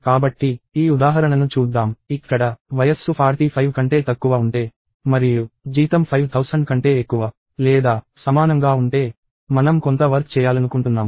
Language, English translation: Telugu, So, let us look at this example; where, let us say if age is less than equal to 45 and salary is greater than or equal to 5000, I want to do some work